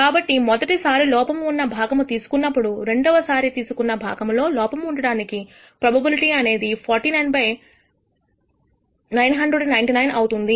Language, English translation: Telugu, So, the probability of picking a defective part in the second pick given that you picked a defective part in the first pick is 49 by 999